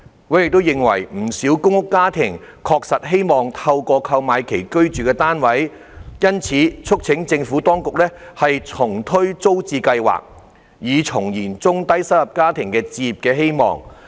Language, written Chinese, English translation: Cantonese, 委員認為不少公屋家庭確實希望購買其居住的單位，因此促請當局重推租置計劃，以重燃中低收入家庭的置業希望。, Members were of the view that many families in public rental housing PRH did aspire to buy the flats in which they resided . Members thus urged the Administration to relaunch TPS to rekindle the hope of low and middle - income families to become home owners